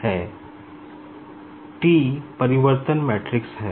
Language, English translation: Hindi, T stands for your transformation matrix